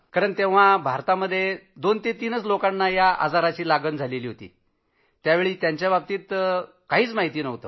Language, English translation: Marathi, Because in India, there were only two or three cases, I didn't know anything about it